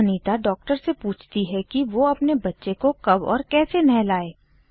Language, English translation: Hindi, Anita then asks the doctor about when and how can she give the baby a bath